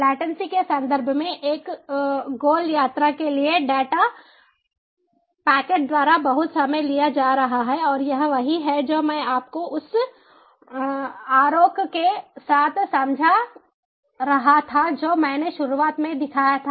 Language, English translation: Hindi, in terms of latency lot of time being taken by a data packet for a round trip, and this is what i was explaining to you with the diagram that i showed at the outset